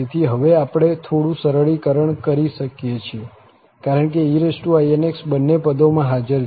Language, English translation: Gujarati, So, we can now do some simplification because the e power inx is present in both the terms